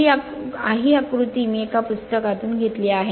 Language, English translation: Marathi, This diagram I have taken from a book right